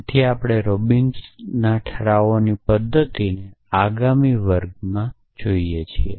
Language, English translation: Gujarati, So, we look at Robinson’s resolutions method in a next class essentially